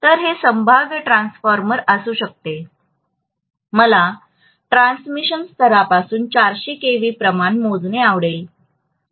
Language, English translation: Marathi, So this can be potential transformer, I may like to measure 400 kilovolts quantity from a transmission level